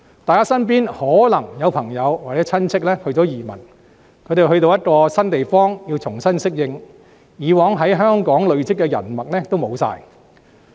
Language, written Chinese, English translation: Cantonese, 大家身邊可能也有朋友或親戚移民，他們到了一個新地方，需要重新適應，以往在香港累積的人脈也全都失去。, Some friends or relatives around us may have chosen to emigrate to places which are completely new to them and they have to adapt to a new environment and may lose their networks of personal connections they have established in Hong Kong